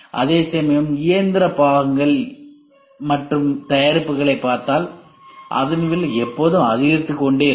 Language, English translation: Tamil, Whereas, the mechanical parts mechanical parts are products if you see the price will always keep increasing as the time period goes high